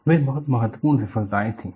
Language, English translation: Hindi, They were very very important failures